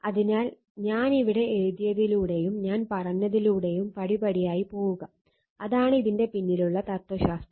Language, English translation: Malayalam, So, just step by step you go through whatever I have written here and whatever I will said right, and that is the philosophy behind this right